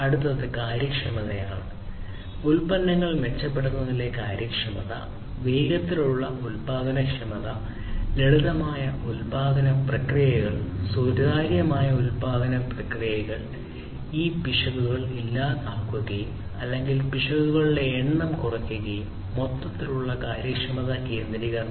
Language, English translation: Malayalam, Next thing is the efficiency; efficiency in terms of improving in the products production productivity, faster productivity, simpler production processes, transparent production processes, production processes which will eliminate errors or reduce the number of errors from occurring and so on; overall efficiency centricity